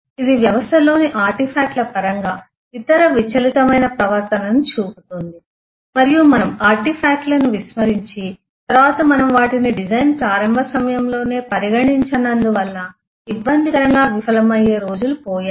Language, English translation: Telugu, It will show lot of other fractured behavior in terms of artifacts in the system and eh gone of the day is when we use to ignore the artifacts and then later on fall flat on our face because we did not consider them at the very beginning at the time of design